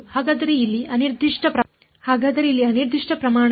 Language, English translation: Kannada, So, what is the unprimed quantity here